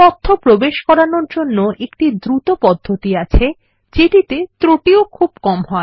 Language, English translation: Bengali, There is another way to enter data swiftly as well as with minimum errors